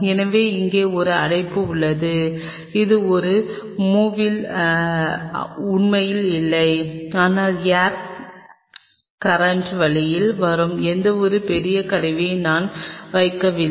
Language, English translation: Tamil, So, there is a blockage here it is it is not really like in a movie, but I am not putting any of the major piece of instrument which will come on the way of the air current